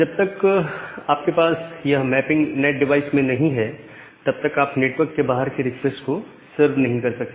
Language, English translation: Hindi, So unless you have this mapping in the NAT device, you will not be able to serve a outside request